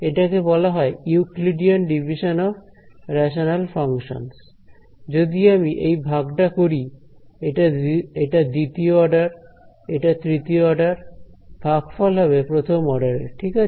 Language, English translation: Bengali, It is called Euclidean division of rational functions, if I do this division this is order 2, this is order 3, the quotient will be order 1 right